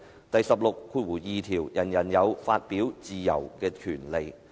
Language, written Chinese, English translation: Cantonese, "第十六條第二款則訂明"人人有發表自由之權利"。, Article 162 stipulates that [e]veryone shall have the right to freedom of expression